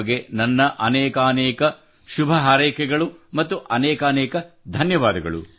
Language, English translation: Kannada, So I wish you all the best and thank you very much